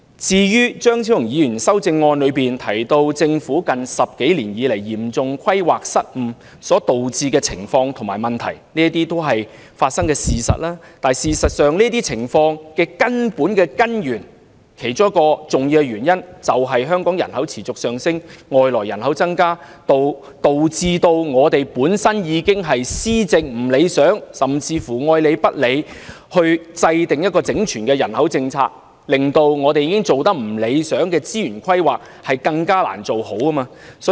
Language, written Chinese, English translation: Cantonese, 至於張超雄議員的修正案提到政府近10多年來嚴重規劃失誤所導致的情況和問題，這些都是已發生的事實，但造成這些情況的其中一個重要原因，是香港人口持續上升，外來人口增加，導致政府的施政有欠理想，加上當局對制訂整全人口政策愛理不理，令已經做得不理想的資源規劃更難做好。, Dr Fernando CHEUNG has mentioned in his amendment the chaos and problems resulted from the Governments serious planning blunders in the past 10 - odd years and all of these have become real but one of the major reasons for such chaos and problems is the persistent increase in Hong Kongs population and the number of inward migration which has undermined the governance of the Government . Furthermore the Government has all along been lethargic in formulating a comprehensive population policy which has rendered it even more difficult to improve the already unsatisfactory resources planning